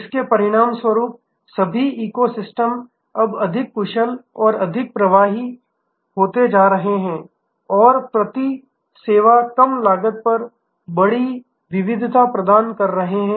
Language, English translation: Hindi, As a result over all the eco system is now increasingly becoming more efficient and more effective and offering larger variety of services at a lower cost per service